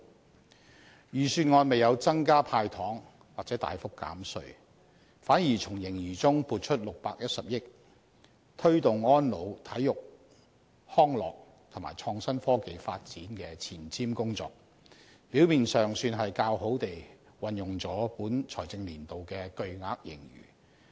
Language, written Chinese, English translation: Cantonese, 但是，預算案未有增加"派糖"或大幅減稅，反而從盈餘中撥出610億元推動安老、體育康樂和創新科技發展的前瞻工作，表面上算是較好地運用了本財政年度的巨額盈餘。, However the Budget has not increased any expenditure in handing out of sweeteners or offered any substantial tax reduction . On the contrary the Government takes a forward - looking approach by earmarking 61 billion for the promotion of elderly services sports development and Innovation and Technology IT development . On the surface it seems to have put the surplus of this year to good use